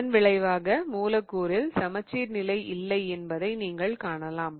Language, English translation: Tamil, As a result of which you can see that there is no plane of symmetry in the molecule, right